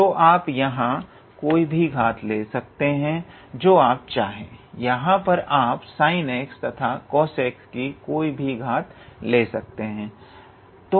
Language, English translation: Hindi, So, you can play with any power here you please sorry, here you can play with any power of power of sin x and cos x here